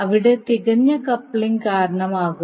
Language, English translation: Malayalam, There by resulting in perfect coupling